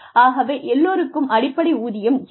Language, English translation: Tamil, So, everybody, has a base pay